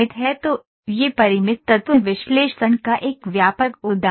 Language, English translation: Hindi, So, this is a broad example of Finite Element Analysis